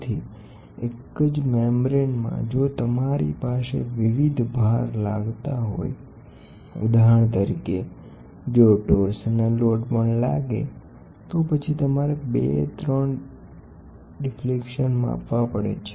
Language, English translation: Gujarati, So, in the same membrane member, if you have a various loads for example, if you have a torsional load coming up, so then you want to measure 2 3 deflections